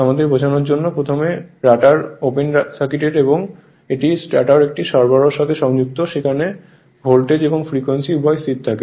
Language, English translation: Bengali, First for our understanding you assume the rotor is open circuited and it and stator it is connected to a supply where voltage and frequency both are constant right